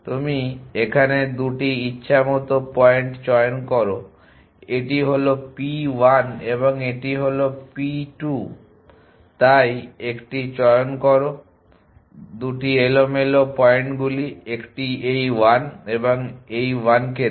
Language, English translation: Bengali, That you choose 2 random points this is p 1 and this is p 2 so a choose 2 random points lets a this 1 and this 1